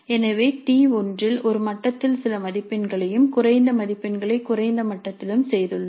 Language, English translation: Tamil, So, in T1 also we have done certain marks at one level and remaining marks at lower level